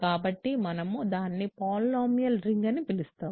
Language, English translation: Telugu, So, I am going to define a polynomial